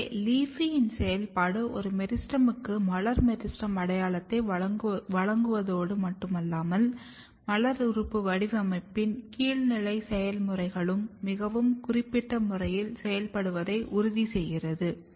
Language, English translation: Tamil, So, function of LEAFY is not only to give a meristem floral meristem identity, but also to ensure that downstream processes of floral organ patterning is also getting activated in a very specific manner or in a very domain specific manner